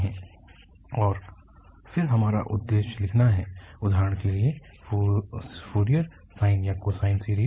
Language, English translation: Hindi, And then our aim is for instance to write Fourier sine or cosine series